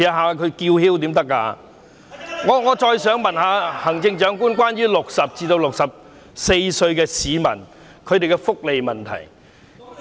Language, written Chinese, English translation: Cantonese, 我想再問問行政長官有關60歲至64歲市民的福利問題。, I wish to ask the Chief Executive again about the welfare of people aged between 60 and 64